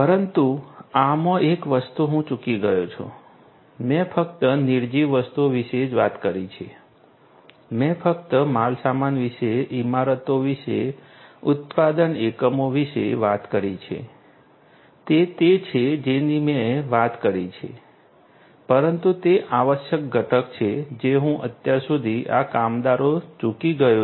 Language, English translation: Gujarati, But one thing I have missed in this I have talked about only nonliving things, I have talked about only the goods, about the buildings, about the manufacturing units, those are the ones I have talked about, but the essential component that I have missed out so far is this worker